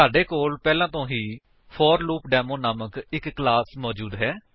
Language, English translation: Punjabi, We already have a class named ForLoopDemo